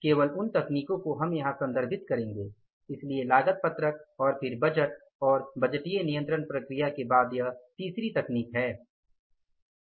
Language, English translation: Hindi, So, this is the third technique after the cost sheet and then the, say, budget and budgetary control process